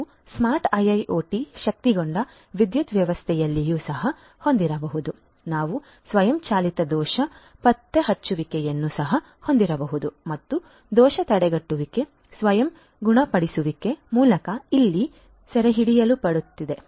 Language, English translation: Kannada, We could also have in a smart IIoT enabled power system, we could also have you know automated fault detection, fall prevention is something over here captured through self healing